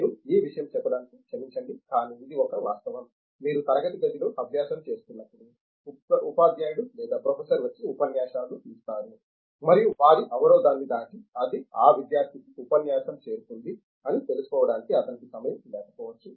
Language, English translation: Telugu, I am sorry to tell this, but it is a fact for example, if you our learning in class room, teacher or the professor will come and give lectures and he may not be having time to establish that crossed their barrier of that, it reached to a lecturer to the student